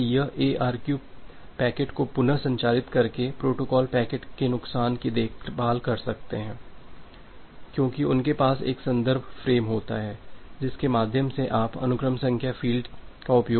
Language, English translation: Hindi, So, this ARQ protocol they can take care of the loss by retransmitting the packet because they have a reference frame through which you can it can utilize the sequence number field